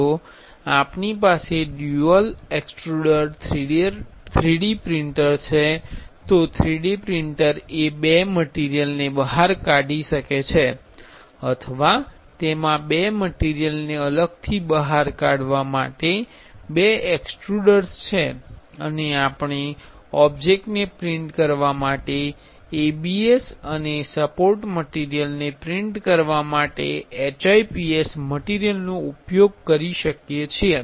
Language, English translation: Gujarati, If we have a dual extruder 3D printer, the 3D printer which can extrude two materials or it have two extruders to separately extrude two materials and we can use ABS for printing the object and HIPS material for printing the support material